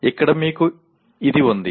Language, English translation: Telugu, So here you have this